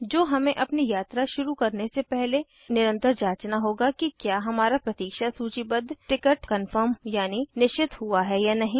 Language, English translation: Hindi, Which we will have to follow up to see whether our wait listed ticket gets confirmed before we begin the journey